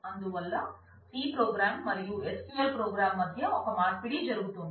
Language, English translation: Telugu, So, there is a there is a exchanges going on between the c program and SQL program